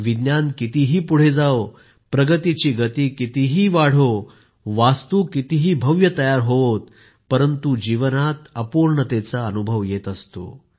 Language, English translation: Marathi, However much science may advance, however much the pace of progress may be, however grand the buildings may be, life feels incomplete